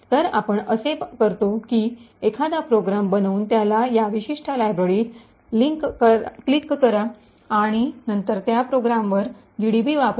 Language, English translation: Marathi, So, what we do is that, create a program link it to this particular library and then use GDB on that program